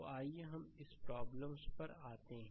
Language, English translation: Hindi, So, let us come to this problem right